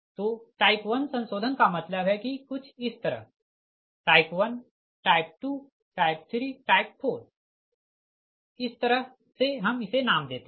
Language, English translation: Hindi, so type one modification means that what is some type one, type two, type three, type four, this way we name it